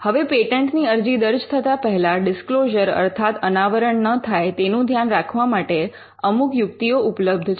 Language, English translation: Gujarati, Now, there are some strategies that exist to ensure that the disclosure does not proceed the filing of the patent application